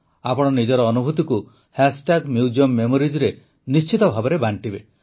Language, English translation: Odia, Do share your experience with MuseumMemories